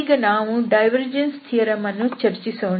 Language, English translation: Kannada, So, let us discuss the divergence theorem